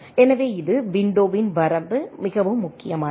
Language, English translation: Tamil, So this, a range of the window matters much